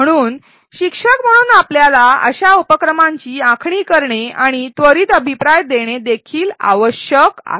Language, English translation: Marathi, So, as instructors we need to design such activities and also give immediate feedback